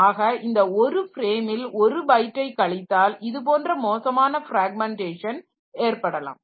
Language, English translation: Tamil, So, this one frame minus one byte so that is the worst case fragmentation